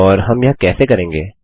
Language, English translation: Hindi, And, how do we do this